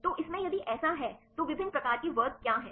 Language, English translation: Hindi, So, in this if so, what are the different types of classes